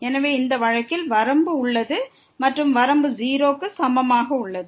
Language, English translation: Tamil, So, in this case this limit here is 0